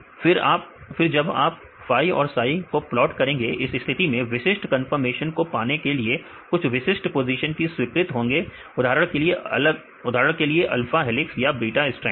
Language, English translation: Hindi, So, then if you plot phi and psi, so in this case only some specific positions are allowed to have these specific conformation for example, alpha helices or the beta strands